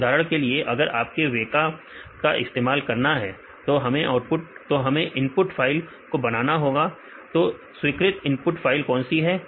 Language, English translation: Hindi, So, for example, if you want to use weka; so, we want to prepare the input files; what are the accepted input files